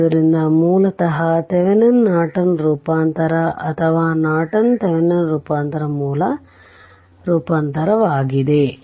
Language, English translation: Kannada, So, basically Thevenin’s Norton transformation or Norton Thevenin’s transformation right source transformation is so